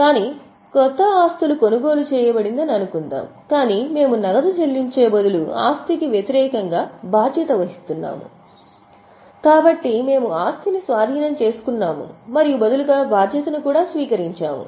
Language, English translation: Telugu, But suppose new assets are purchased but we don't pay cash instead of paying cash we are assuming liability against the asset